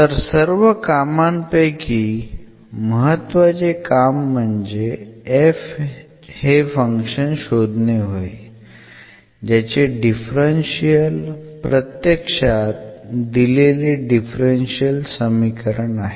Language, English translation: Marathi, So, one the main job is to find this function f whose differential is exactly this given differential equation